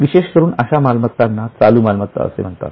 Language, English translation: Marathi, These assets are known as current assets